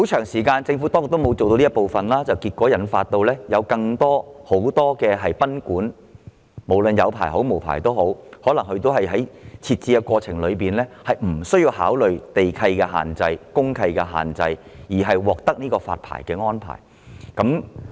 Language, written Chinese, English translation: Cantonese, 不過，政府當局一直沒有做這方面的工作，以致眾多持牌或無牌經營的賓館在設立的過程中即使沒有考慮地契和公契的限制，也獲發牌照。, Nevertheless the Administration has failed in this task all along . As a result various licensed or unlicensed boarding houses have been issued a licence all the same despite their disregard for land lease or DMC restrictions in the course of establishment